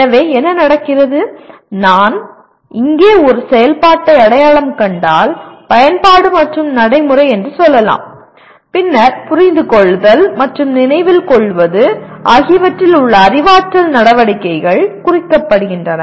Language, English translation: Tamil, So what happens, if I identify an activity here, let us say apply and procedural then the cognitive activities in Understand and Remember are implied